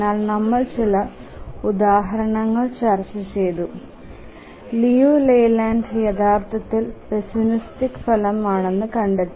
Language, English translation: Malayalam, But we just throw some example, found that Liu Leyland is actually a pessimistic result